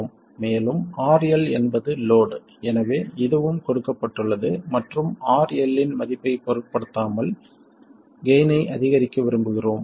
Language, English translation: Tamil, And RL is the load, so this is also given and regardless of the value of RL we would like to maximize the gain